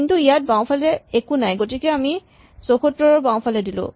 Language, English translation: Assamese, So, we go left, but there is nothing to the left 74